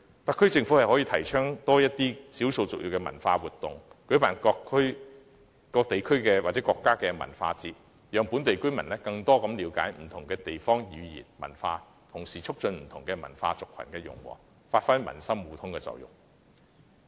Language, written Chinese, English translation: Cantonese, 特區政府可多些提倡少數族裔文化活動，舉辦各地區或國家文化節，讓本地居民更了解不同地方的語言和文化，同時促進不同文化族群的融和，達致民心互通的目的。, Hence the HKSAR Government may promote cultural activities of ethnic minorities such as organizing cultural festivals for different places or countries so that local residents will have a better understanding of different languages and cultures . This will help foster harmony among different cultures and races thereby achieving the goal of building people - to - people bond